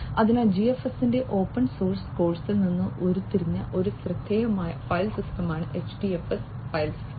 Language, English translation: Malayalam, So, HDFS file system is a notable file system derived from the open source course of GFS